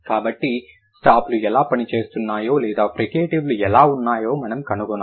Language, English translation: Telugu, So, we have to find out how the stops are working or the fricatives